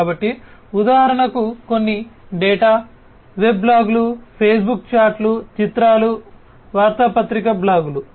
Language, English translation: Telugu, So, certain data for example, Web blogs, Facebook chats, images, the newspaper blogs